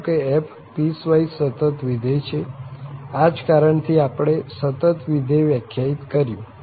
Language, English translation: Gujarati, Suppose f is a piecewise continuous function that is a reason we have defined the continuous function